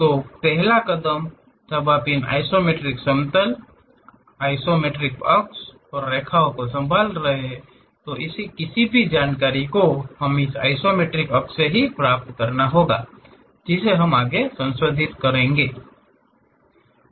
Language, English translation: Hindi, So, the first step when you are handling on these isometric planes, isometric axis and lines; any information we have to get it from this isometric axis information only, that has to be modified further